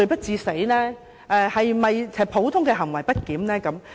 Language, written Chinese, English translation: Cantonese, 是否普通的行為不檢？, Was it an action of general disorderly conduct?